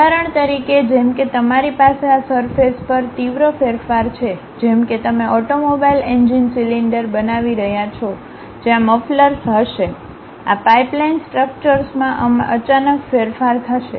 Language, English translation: Gujarati, For example, like you have drastic variation on these surfaces, like you are making a automobile engine cylinder where mufflers will be there, sudden change in this pipeline structures will be there